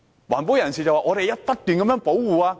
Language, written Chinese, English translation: Cantonese, 環保人士只會不斷說要保護。, They will only keep talking about conservation